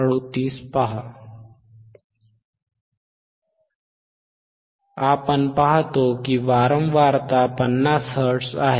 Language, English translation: Marathi, Now what wWe see isthat my frequency is 50 hertz